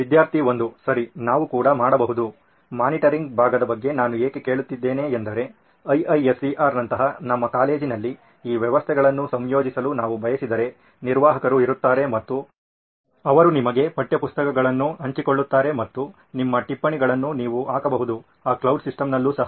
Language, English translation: Kannada, Right, we can also…why I was asking about the monitoring part is, if we want to incorporate this systems in our college like IISER there would be an admin who will be sharing the textbooks to you and you can put up your notes into that cloud system as well